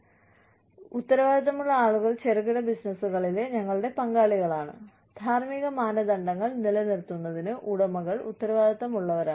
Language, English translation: Malayalam, The people, who we are accountable to our stakeholders in small businesses, the owners are responsible for, and you know, accountable for, maintaining ethical standards